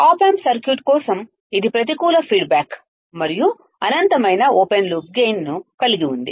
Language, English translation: Telugu, For the op amp circuit, it is having negative feedback and infinite open loop